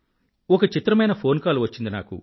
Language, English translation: Telugu, I have received an incredible phone call